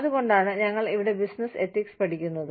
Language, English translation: Malayalam, That is why, we are studying business ethics here